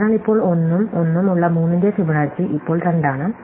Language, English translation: Malayalam, So, now, that have 1 and 1, Fibonacci of 3 is now 2